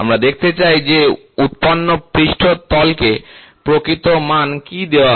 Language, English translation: Bengali, We would like to see what is the real magnitude value given to the generated surface